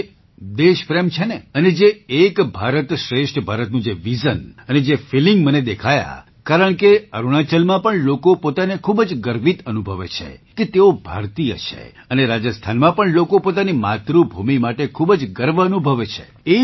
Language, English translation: Gujarati, Modi ji, the one similarity I found was the love for the country and the vision and feeling of Ek Bharat Shreshtha Bharat, because in Arunachal too people feel very proud that they are Indians and similarly in Rajasthan also people are proud of their mother land